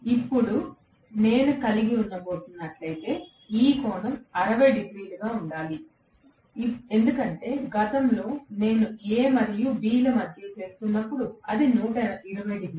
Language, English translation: Telugu, Now, if I am going to have, this angle has to be 60, because previously when I was doing between A and B it was 120 degrees